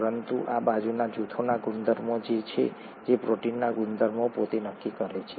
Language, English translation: Gujarati, But these are the properties of the side groups that determine the properties of the proteins themselves